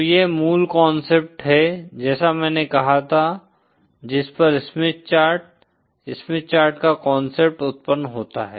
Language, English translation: Hindi, So this is the basic concept as I said on which the Smith Chart, concept of Smith Chart arises